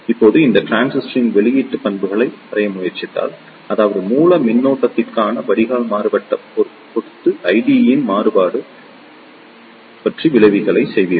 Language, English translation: Tamil, Now, if you try to draw the output characteristics of this transistor; that means, the variation of I D with respect to variation in drain to source voltage you will the curves like this